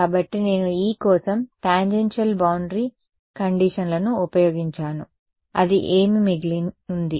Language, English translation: Telugu, So, I have used tangential boundary conditions for E next what it remains